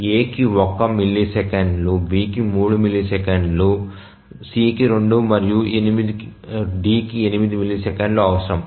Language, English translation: Telugu, So, A requires 1 millisecond, B requires 3 millisecond, C requires 2 and D requires 8 millisecond